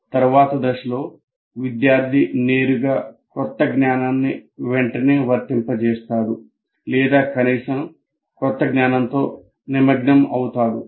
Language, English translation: Telugu, And then what you do in the next stage, the student directly applies the new knowledge immediately or at least gets engaged with the new knowledge